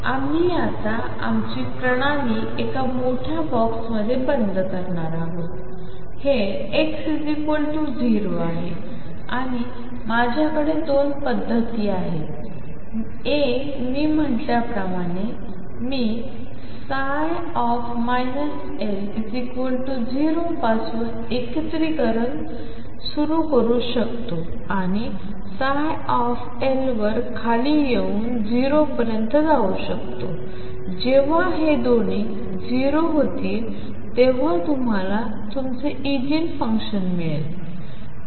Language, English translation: Marathi, We are now going to enclose our system in a huge box this is x equals 0 and I have 2 methods one as I said I can start integrating from here starting with psi minus L equals 0 and come down to psi L going to 0 when they both become 0 you have found your eigenfunction